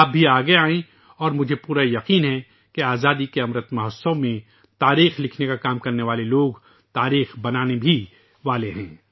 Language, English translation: Urdu, You too come forward and it is my firm belief that during the Amrit Mahotsav of Independence the people who are working for writing history will make history as well